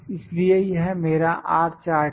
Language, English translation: Hindi, So, this is my R chart